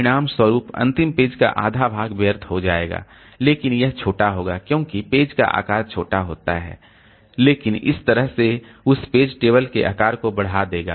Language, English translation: Hindi, As a result, half of the last page will be wasted but that value will be small because the page size itself is small